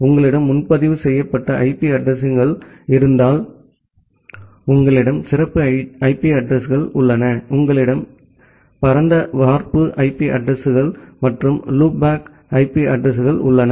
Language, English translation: Tamil, Because you have the reserved IP addresses, you have the special IP addresses, you have this broad cast IP addresses and the loop back IP addresses